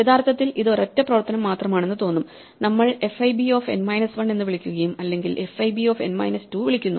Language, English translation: Malayalam, So, actually though it looks like only a single operation and we call fib of n minus 1 or fib of n minus 2